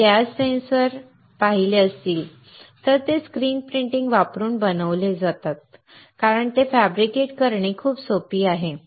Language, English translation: Marathi, If you have seen gas sensors, they are made using screen printing because, they are very easy to fabricate